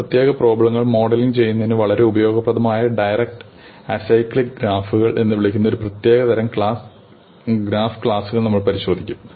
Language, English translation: Malayalam, We will look at a special class of graphs called directed acyclic graphs, which are very useful for modelling certain kinds of problems